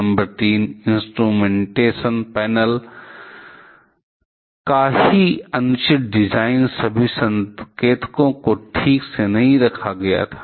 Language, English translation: Hindi, Number 3: Improper design of the instrumentation panel itself, the all the indicators were not properly placed this